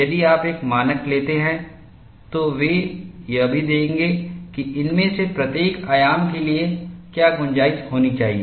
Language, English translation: Hindi, If you take up a standard, they would also give what should be the tolerance for each of these dimensions